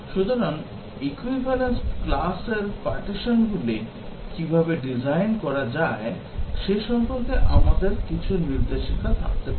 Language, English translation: Bengali, So, we can have few guidelines about how to design the equivalence class partitions